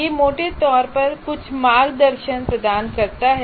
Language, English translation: Hindi, It provides some guidance